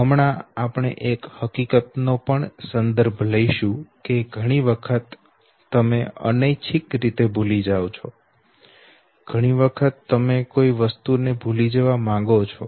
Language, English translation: Gujarati, Right now we will also refer to one fact that many times you forget okay, involuntarily and many times you forget, because you want to forget that thing